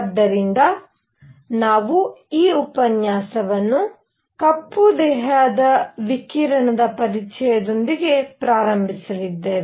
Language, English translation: Kannada, So, we are going to start this lecture with introduction to black body radiation